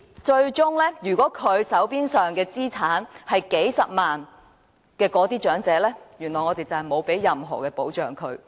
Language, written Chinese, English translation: Cantonese, 最終，手邊有數十萬元資產的長者，原來並無任何保障。, Eventually elderly persons owning assets valued at several hundred thousand dollars are afforded no protection